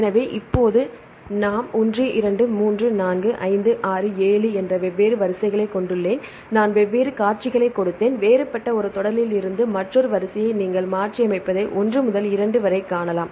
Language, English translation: Tamil, So, now we have the different sequences sequence 1, 2, 3, 4, 5, 6, 7, I gave the different sequences and from different one sequence another sequence you can see the mutation say from one to two